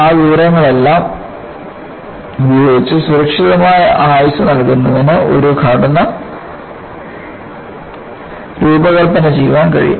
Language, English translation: Malayalam, With all that information, it is possible to design a structure to give a safe life